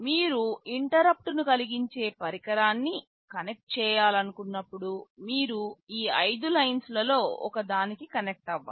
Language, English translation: Telugu, When you wanted to connect an interrupting device you had to connect to one of these five lines